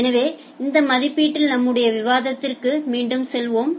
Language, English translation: Tamil, So, with this estimation, let us go back to our discussion